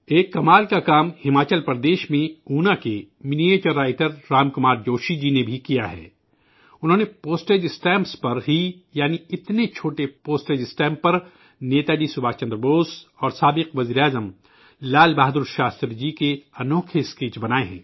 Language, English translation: Urdu, Miniature Writer Ram Kumar Joshi ji from Una, Himachal Pradesh too has done some remarkable work…on tiny postage stamps, he has drawn outstanding sketches of Netaji Subhash Chandra Bose and former Prime Minister Lal Bahadur Shastri